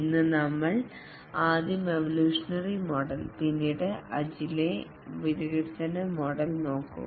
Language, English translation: Malayalam, Today we will first look at the evolutionary model and then we will look at the agile development model